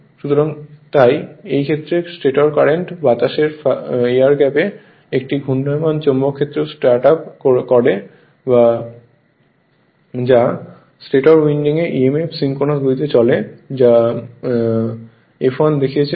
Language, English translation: Bengali, So, so in that case the stator current set up a rotating magnetic field in the air gap which runs at synchronous speed inducing emf in the stator winding that is your F1 I showed you